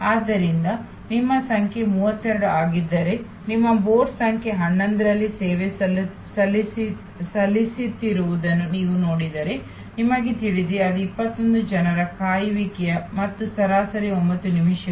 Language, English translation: Kannada, So, if your number is 32 and you see that on the board number 11 is getting served, so you know; that is gap of 21 more people waiting and into average 9 minutes